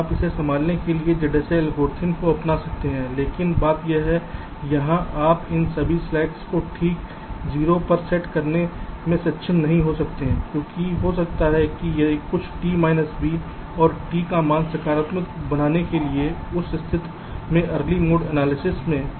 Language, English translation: Hindi, but that the thing is that here you may not be able to set all these slacks to exactly zero because that might four some t, v and t value to become negative in that case in early mode analysis